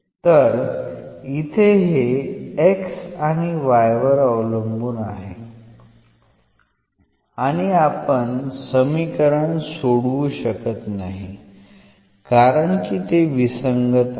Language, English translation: Marathi, So, here this depends on x and y, and we cannot solve this equation because this is inconsistent now